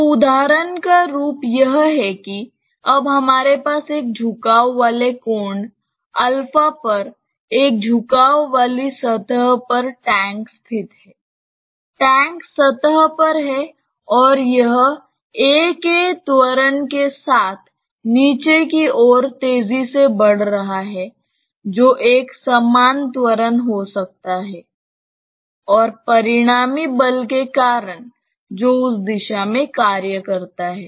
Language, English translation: Hindi, we have the tank located on an inclined plane with an angle of inclination alpha, the tank is there on the plane and it is accelerating say downwards with an acceleration of a, which is a uniform acceleration maybe because of a resultant force which acts along that direction